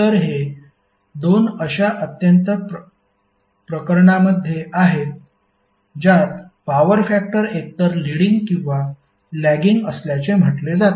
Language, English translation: Marathi, So these are the 2 extreme cases in which power factor is said to be either leading or lagging